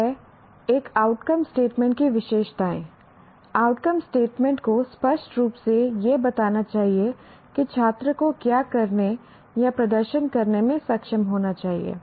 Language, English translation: Hindi, Now, coming to features of an outcome statement, the outcome statement should unambiguously state what the student should be able to do or perform